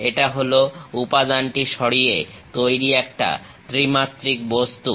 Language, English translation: Bengali, It is a three dimensional object made with material